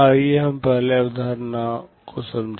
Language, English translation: Hindi, Let us understand first the concept